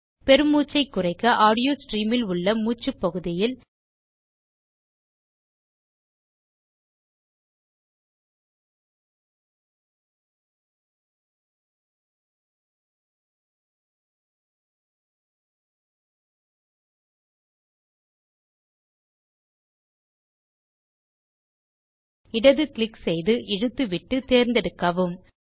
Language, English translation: Tamil, To reduce loud breaths, select the breath portion in the audio stream by left clicking, dragging and releasing